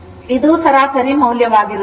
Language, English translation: Kannada, This is your average value